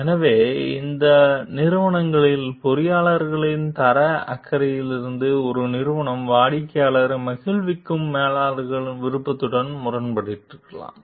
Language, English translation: Tamil, So, therefore, in these companies so in engineers quality concerns a firm may have conflicted with managers desire to please the customer